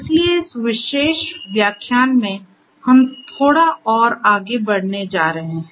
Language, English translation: Hindi, So, here in this particular lecture, we are going to go little bit further